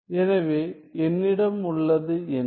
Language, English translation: Tamil, So, what I have is